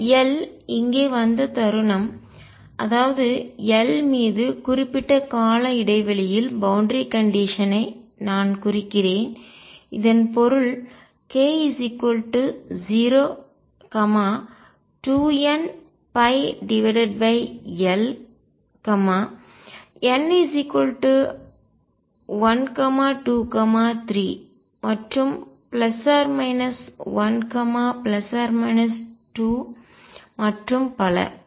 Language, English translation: Tamil, The moment arrived this L here; that means, I also imply periodic boundary condition over L and this means k equals 0 2 n pi over L n equals 1 2 3 and so on plus minus 1 plus minus 2 and so on